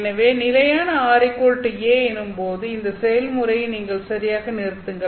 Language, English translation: Tamil, So let's say at some constant r equal to A you stop this process